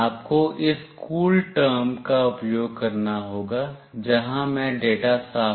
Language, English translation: Hindi, You have to use this CoolTerm; where I am clearing the data